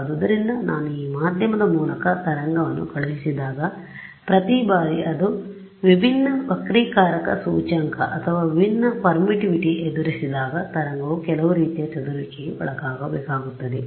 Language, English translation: Kannada, So, what happens is when I send a wave through this medium, every time it encounters different refractive index or different permittivity that wave has to undergo some kind of scattering we have seen that